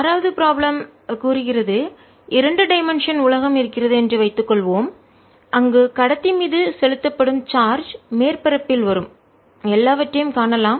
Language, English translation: Tamil, the six problem says: suppose there is two dimensional world where it is seen that all charge put on the conductor comes with surface